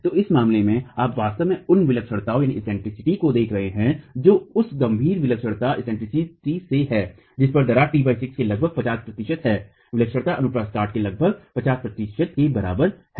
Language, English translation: Hindi, So in this case, you're really looking at eccentricities that range from the critical eccentricity at which cracking commences T by 6 to about 50 percent, eccentricity equal to about 50 percent of the cross section itself